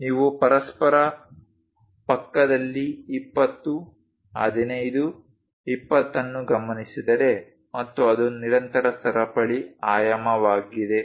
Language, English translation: Kannada, If you are noting 20 15 20 next to each other and it is a continuous chain dimensioning